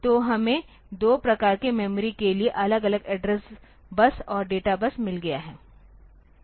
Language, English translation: Hindi, So, we have got separate address bus and data bus for two types of memories